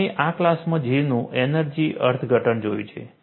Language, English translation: Gujarati, We have seen the energy interpretation of J in this class